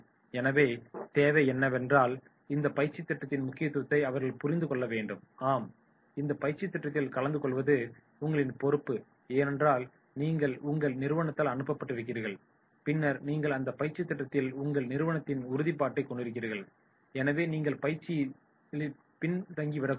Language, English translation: Tamil, So therefore, what is required is let them understand the importance of this training program also that is yes this is your responsibility to attend this training program because you have been sent by your organisation and then you are having their commitment to the program so you should not be at the backseat